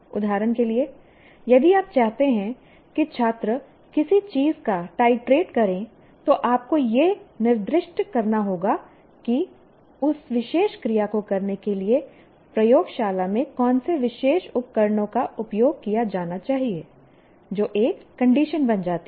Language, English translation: Hindi, For example, if you want the student to titrate something, you have to specify which particular equipment in the laboratory should be used to perform that particular action